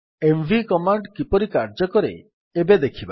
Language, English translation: Odia, Now let us see how the mv command works